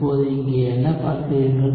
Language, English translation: Tamil, So, what do you see here now